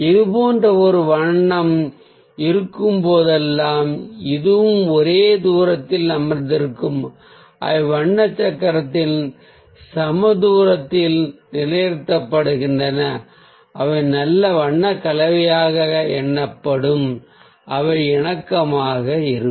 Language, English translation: Tamil, so whenever there is a colour like this one, this one and this one that are sitting at the equal distance, they're positioned on the colour wheel in equal distance, they will be counted as a good colour combination which is in harmony